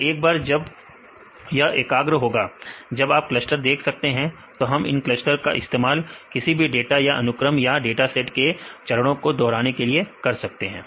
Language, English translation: Hindi, So, once it converges then you can see this is the cluster, we can a use these clusters to get the repeat steps of data right for any of your sequences or any datasets